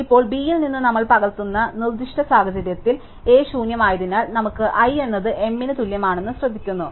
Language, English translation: Malayalam, Now, notices that in the specific case where we are copying from B, because A is empty, we have i equal to m